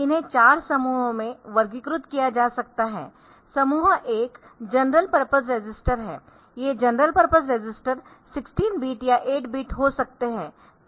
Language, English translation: Hindi, that we have in 8086, they can be categorized into 4 groups, group one are the general purpose registers those general purpose registers can be 16 bit or 8 bit